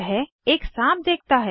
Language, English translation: Hindi, He spots a snake